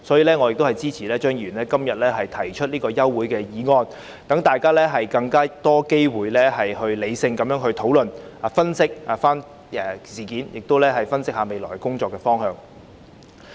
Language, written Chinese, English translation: Cantonese, 因此，我支持張議員今天提出的休會待續議案，讓大家有更多機會進行理性討論，以及分析事件和未來工作的方向。, For this reason I support the adjournment motion proposed by Mr CHEUNG today which gives us more opportunities to conduct rational discussions and analyse the incident and the direction of future work